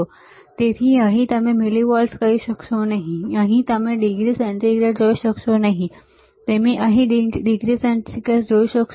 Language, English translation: Gujarati, So, here you will not be able to say millivolts, here you will be able to see degree centigrade, you see here degree centigrade